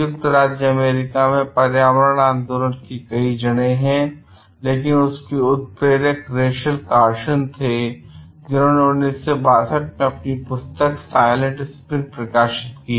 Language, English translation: Hindi, In the United States, the environmental movement have many roots, but its catalyst was Rachel Carsons, 1962 book on Silent Spring